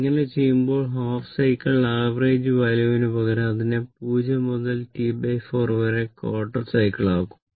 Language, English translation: Malayalam, So, instead of half cycle average value you can make it quarter cycle also 0 to T by 4